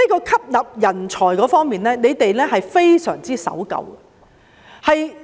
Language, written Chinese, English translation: Cantonese, 吸納人才方面，他們非常守舊。, The Judiciary is very conservative in attracting talents